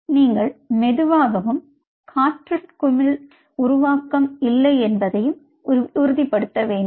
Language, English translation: Tamil, so you slowly, and you have to ensure that there is no air bubble formation